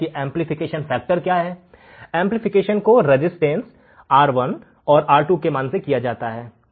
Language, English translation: Hindi, And what is the amplification factor, amplification is done by values of R1 and R2